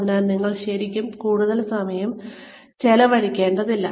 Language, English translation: Malayalam, So, you do not really need to spend too much time